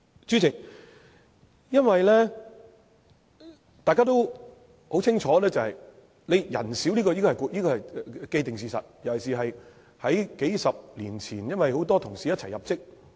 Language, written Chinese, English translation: Cantonese, 主席，因為大家都很清楚，廉署人選少，這是既定事實，尤其是在數十年前，因為很多同事一起入職。, Chairman we all learn an established fact very clearly that the number of suitable candidates in ICAC is limited especially because a large number of colleagues joined ICAC a few decades ago